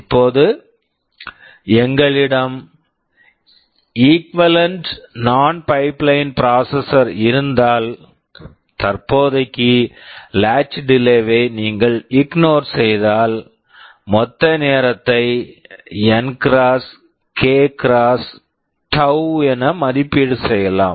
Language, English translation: Tamil, Now, if we have an equivalent non pipelined processor, if you ignore the latch delays for the time being, then the total time can be estimated as N x k x tau